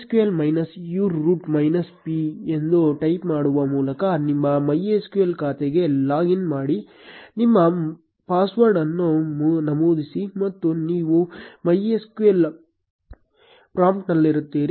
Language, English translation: Kannada, Log in to your MySQL account by typing MySQL minus u root minus p, enter your password and you will be inside the MySQL prompt